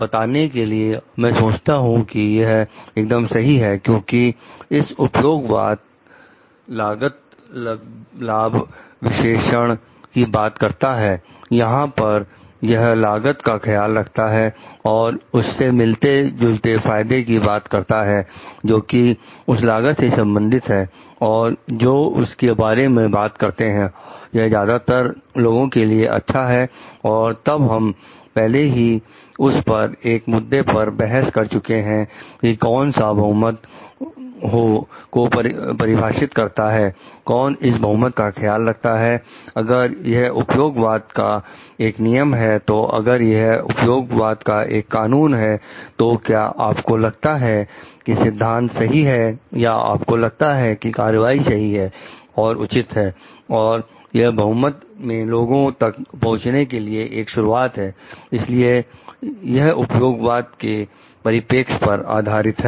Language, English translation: Hindi, For telling I think this to be right because, of this utilitarianism talks of cost benefit analysis where it takes care of the costs and relevant benefits with terms of that cost and which talks of like the if, it is good for a majority of people and then, we have already discussed debates about it like who defines this majority, who takes care of the minority, if it is a rule utilitarianism if it is an act utilitarianism, so do you think the principle is correct or do you think the action is correct and right and it is it is bringing go to the majority of people, so that is based on utilitarianism perspective